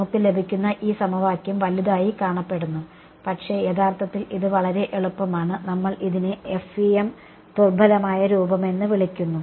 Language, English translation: Malayalam, Final this equation that we get it looks big, but it actually very easy we call this is the weak form of the FEM ok